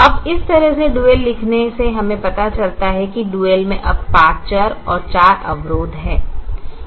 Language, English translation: Hindi, now, having written the dual this way, we realize that the dual now has five variables and four constraints